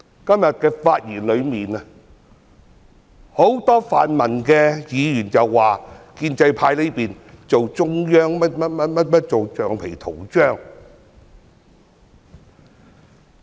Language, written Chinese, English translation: Cantonese, 今天很多泛民議員的發言說，建制派在做中央政府的橡皮圖章。, Today many pan - democratic Members have said that the pro - establishment camp is the rubber stamp for the Central Government